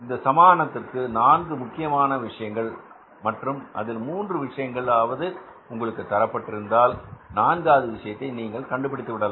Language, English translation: Tamil, You can miss this equation involves four important things and if any three things are given to us, we can easily calculate the fourth thing